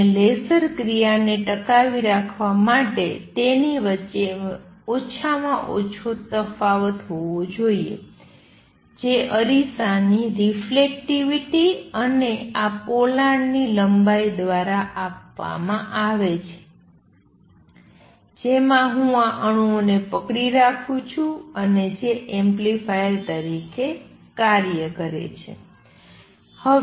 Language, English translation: Gujarati, And in order to sustain laser action I should have minimum difference between them which is given by the reflectivity of the mirror and the length of this cavity in which I am holding these atoms, and which work as the amplifiers